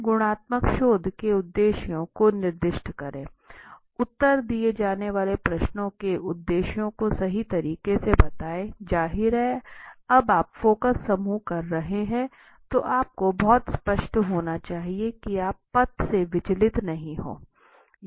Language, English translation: Hindi, Then is specify the objectives of the qualitative research right state the objectives of the questions to be answered, so you see, obviously when you are doing focus group you need to be very clear that you do not deviate out of the path completely